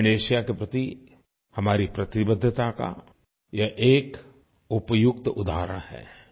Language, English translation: Hindi, This is an appropriate example of our commitment towards South Asia